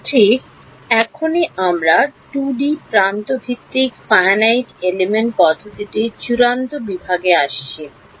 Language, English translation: Bengali, Right so now we come to the final section on the 2D edge based Finite Element Method